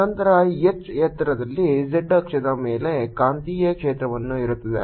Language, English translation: Kannada, then the magnetic field on the z axis at height h is going to be what i can do